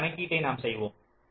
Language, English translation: Tamil, let lets make a calculation